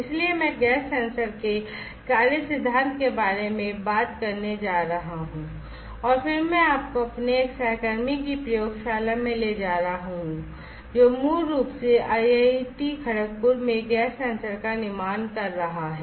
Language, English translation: Hindi, So, I am going to talk about the working principle of a gas sensor and then I am going to take you to one of labs of one of my colleagues, who is basically fabricating a gas sensor at IIT Kharagpur